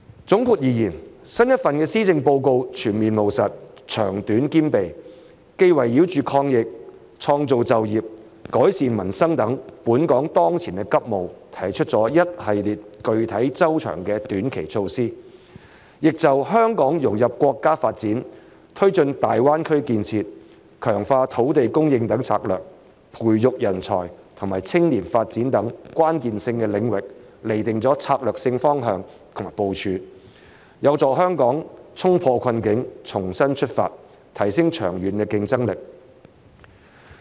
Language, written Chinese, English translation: Cantonese, 總括而言，新一份施政報告全面務實、長短兼備，既圍繞着抗疫、創造就業、改善民生等本港當前急務提出一系列具體措施，亦就香港融入國家發展、推進大灣區建設、強化土地供應等策略，以及培育人才和青年發展等關鍵性領域，釐定了策略性方向和部署，有助香港衝破困境，重新出發，提升長遠競爭力。, All in all the new Policy Address is comprehensive and pragmatic in that it comprises both long - and short - term measures . It has not just put forward a series of concrete measures around the pressing priorities for Hong Kong such as the battle against the pandemic creation of jobs and improvement of peoples livelihood but also set out the strategic direction and deployment in relation to such strategies as integrating Hong Kong into the national development taking forward the development of the Greater Bay Area and ramping up land supply as well as such key areas as the nurture of talent and youth development . They will help Hong Kong get out of the woods and start afresh to scale up its long - term competitiveness